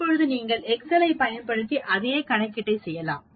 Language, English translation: Tamil, Now you can do the same calculation using Excel as well